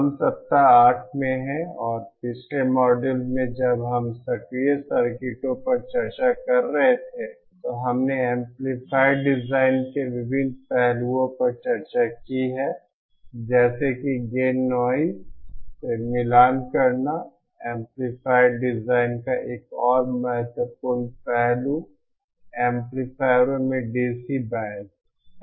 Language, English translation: Hindi, We are in week eight and in the previous module when we were discussing active circuits we have discussed the various aspects of amplifier design like gain noise then matching yet another important aspect of amplifier design is the DC bias in amplifiers